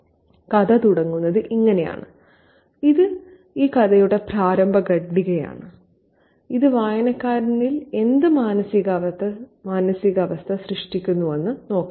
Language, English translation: Malayalam, This is the opening paragraph of the story and let's see what kind of mood does it create on the reader